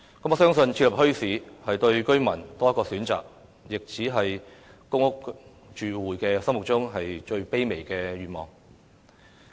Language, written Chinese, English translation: Cantonese, 我相信，設立墟市是給居民多一個選擇，亦只是公屋住戶心目中最卑微的願望。, I believe the setting up of bazaars can provide an additional choice to the residents and it is also just a most humble wish of public housing tenants